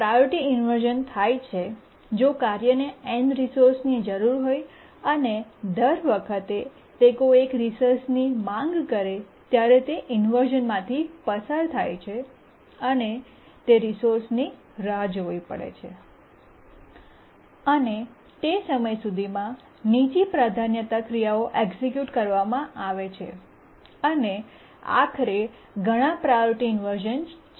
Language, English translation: Gujarati, That is, if a task needs n resources, each time it requests for one of the resources, it undergoes inversion, waits for that resource, and by that time lower priority tasks execute and multiple priority inversions occur